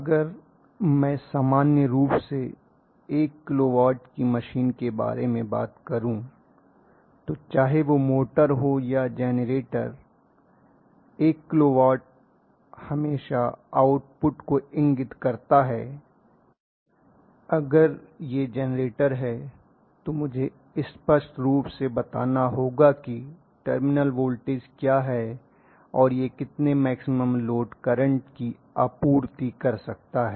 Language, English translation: Hindi, So if I am talking about a 1 kilo watt machine in general whether it is a motor or generator 1 kilo watt indicates always the output nothing else it is going to be output and if it is a generator I will have to specify clearly what is the terminal voltage and what is the maximum load current it can supply